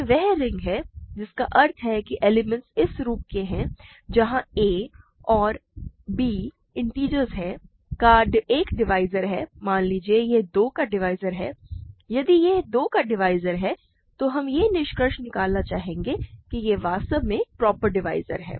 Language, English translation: Hindi, So, this is the ring that means, elements are of this form, where a and b are integers, is a divisor of, suppose this is a divisor of 2, if this is a divisor of 2 we would like to conclude after some work that it, it is in fact, a proper divisor